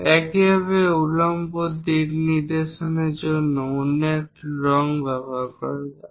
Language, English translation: Bengali, Similarly, for the vertical direction let us use other color